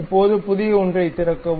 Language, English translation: Tamil, Now, open a new one